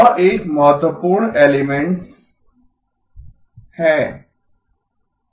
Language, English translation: Hindi, That is an important element